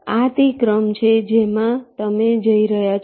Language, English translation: Gujarati, this is the sequence in which you are going